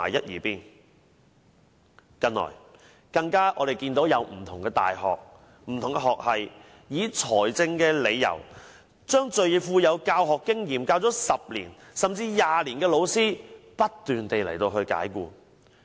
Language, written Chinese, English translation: Cantonese, 我們近來更看到不同的大學學系，以財政理由不斷解僱已任教10年、甚至20年最具教學經驗的老師。, We notice that different university faculties dismissed experienced lecturers who had taught for 10 or even 20 years in the name of financial reasons but the fundamental reason is the so - called cost - effectiveness